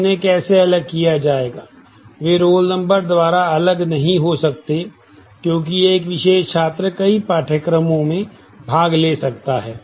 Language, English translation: Hindi, How they will be distinguished, they cannot be distinguished by roll number, because a particular student may take multiple courses